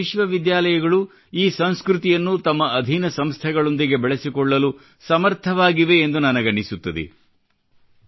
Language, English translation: Kannada, I think that universities of India are also capable to institutionalize this culture